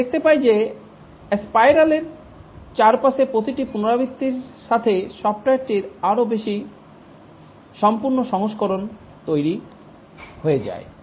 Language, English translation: Bengali, We can see that with each iteration around the spiral, more and more complete versions of the software get built